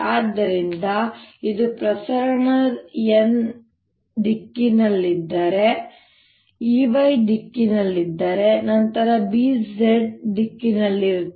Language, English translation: Kannada, so if this is a direction of propagation x, and if e happens to be in the y direction, then b would be in the z direction